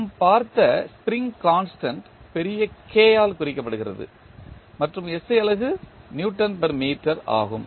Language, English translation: Tamil, Spring constant just we saw is represented by capital K and the SI unit is Newton per meter